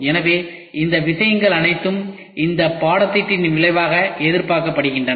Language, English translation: Tamil, So, all these things are expected outcome of this course